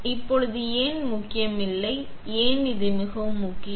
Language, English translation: Tamil, Now, why it is not important; why it is very important